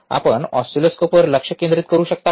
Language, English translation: Marathi, Can you please focus oscilloscope